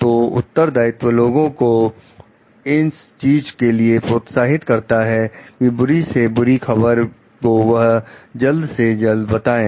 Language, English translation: Hindi, So, accountability encourages people to deliver the bad news as soon as they learn about it